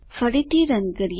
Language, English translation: Gujarati, Lets run again